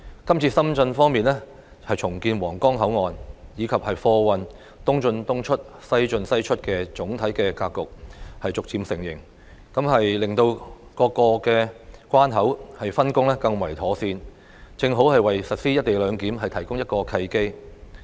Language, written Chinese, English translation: Cantonese, 這次深圳方面重建皇崗口岸，以及貨運"東進東出、西進西出"的總體格局逐步形成，令各個關口的分工更為妥善，正好為實施"一地兩檢"提供一個契機。, The current redevelopment of the Huanggang Port in Shenzhen coupled with the progressive implementation of the East in East out West in West out planning strategy for goods traffic will improve the division of labour among boundary crossings making it the ideal opportunity to implement co - location arrangement